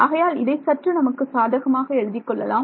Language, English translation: Tamil, So, let us may be let us write it like this